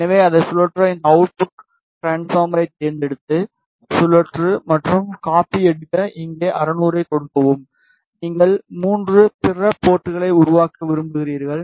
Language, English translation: Tamil, So, to rotate it select this out transform then rotate and copy here you give 60 degree ok and since you want to make 3 other ports